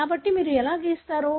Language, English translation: Telugu, So, how do you draw